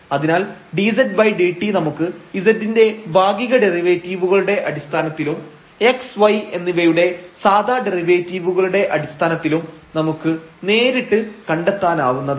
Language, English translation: Malayalam, So, dz over dt we can find out directly in terms of the partial derivatives of z and the ordinary derivatives of x and y